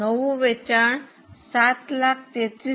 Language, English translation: Gujarati, The new sales will be 73333